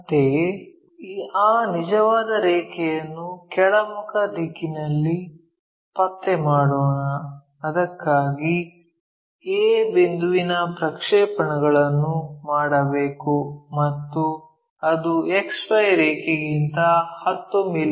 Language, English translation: Kannada, Similarly, let us locate that true line in the downward direction for that we have to project point a and that supposed to be 10 mm below XY line